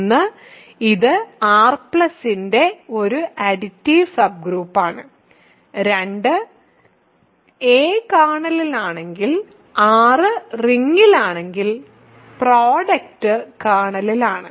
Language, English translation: Malayalam, one, it is an additive subgroup of R plus, and two, if a is in the kernel r is in the ring the product is in the kernel ok